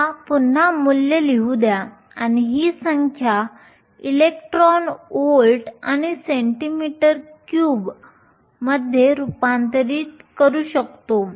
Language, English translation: Marathi, Let me write the value again we can convert this number into electron volts and centimetre cube